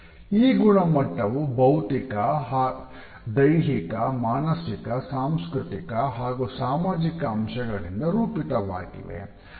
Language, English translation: Kannada, These qualities are shaped by biological, physiological, psychological, cultural, and social features